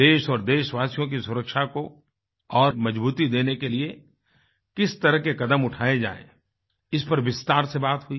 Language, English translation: Hindi, What kind of steps should be taken to strengthen the security of the country and that of the countrymen, was discussed in detail